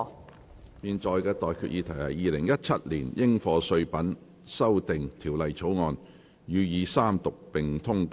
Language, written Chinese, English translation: Cantonese, 我現在向各位提出的待議議題是：《2017年應課稅品條例草案》，予以三讀並通過。, I now propose the question to you and that is That the Dutiable Commodities Amendment Bill 2017 be read the Third time and do pass